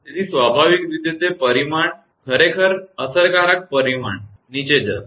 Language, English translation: Gujarati, So, naturally that magnitude actually effective magnitude will go down